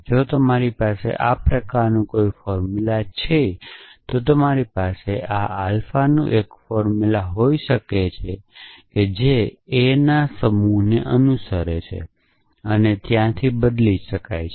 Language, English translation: Gujarati, If you have a formula of this kind, you can have a formula of this kind alpha which the term replaced by a where a belongs to a set of constants